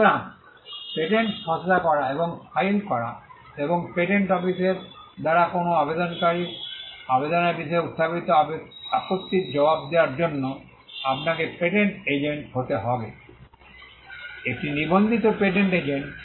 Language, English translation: Bengali, So, to draft and file patents and to answer objections raised by the patent office with regard to an applicant, application, you need to be a patent agent; a registered patent agent